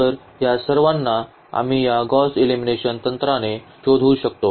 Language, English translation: Marathi, So, all these we can figure it out with this Gauss elimination technique